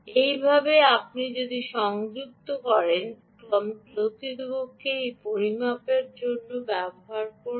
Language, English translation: Bengali, this is how you would attach and this is how you would actually use it for measurement